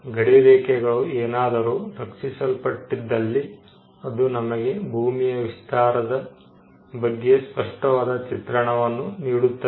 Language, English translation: Kannada, If the boundaries are protected and it gives a much clearer view of what is the extent of the land